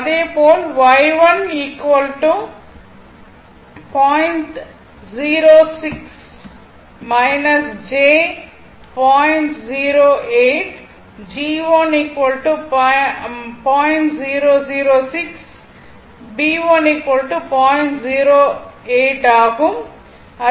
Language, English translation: Tamil, Similarly, Y 2 is equal to 0